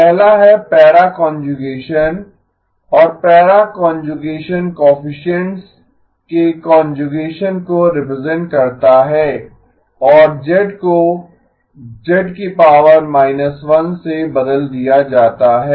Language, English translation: Hindi, The first one is para conjugation and para conjugation represents conjugation of the coefficients and z replaced with z inverse